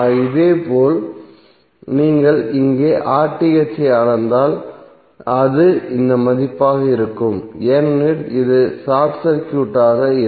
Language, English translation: Tamil, Similarly if you measure RTh here it will be this value because in that case this would be short circuited